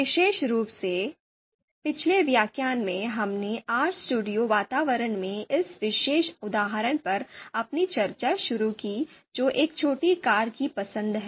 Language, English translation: Hindi, So specifically in the previous lecture, we started our discussion of this particular example in RStudio environment that is choice of a small car